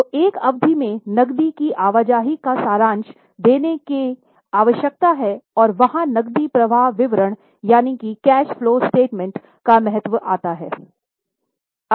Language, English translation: Hindi, So, there is a need to give a summary of movement of cash in a period and there comes the importance of cash flow statement